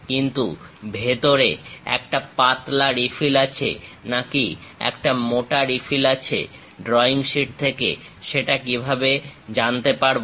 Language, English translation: Bengali, But whether inside, a thin refill is present, thick refill is present; how to know about that on the drawing sheet